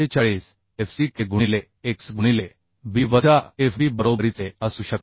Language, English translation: Marathi, 45 fck into x into B minus Fb right 0